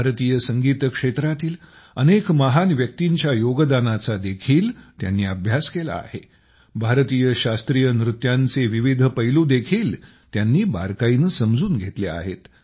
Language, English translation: Marathi, He has studied the contribution of many great personalities of Indian music; he has also closely understood the different aspects of classical dances of India